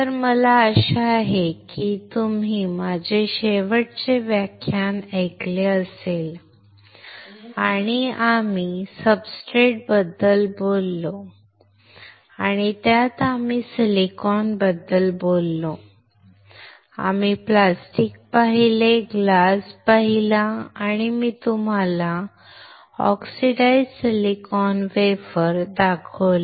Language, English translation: Marathi, So, I hope that you have listened to my last lecture and we talked about the substrate and in that we talked about silicon, we have seen plastic, we have seen glass, and I have shown you oxidized silicon wafer